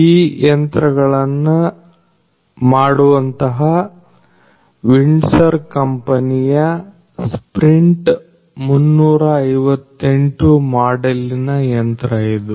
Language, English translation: Kannada, This machine is the sprint 358 model of the company Windsor which makes this machine